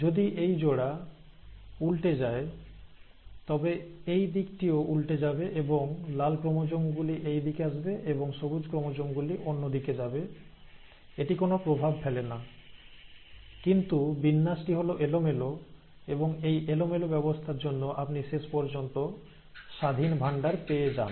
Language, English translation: Bengali, so if this pair flips over, so this side can flip over and the red chromosome can be at this end and the green chromosome can be at the other end, it does not matter, but this arrangement is a random arrangement, and thanks to this random arrangement, you end up getting independent assortment